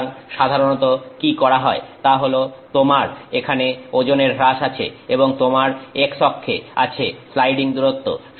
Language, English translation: Bengali, So, what is typically done is that you have weight loss here and you have sliding distance on your x axis